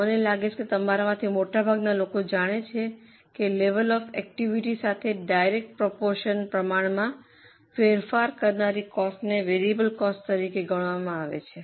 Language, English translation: Gujarati, I hope most of you know that a cost which changes in the direct proportion with the level of activity is considered as a variable cost